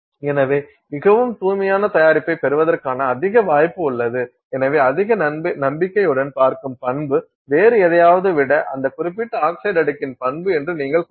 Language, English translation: Tamil, So, you have much greater possibility that you are getting a much purer product and therefore with greater confidence you can say that you know the property I am seeing is that property of that particular oxide layer rather than something else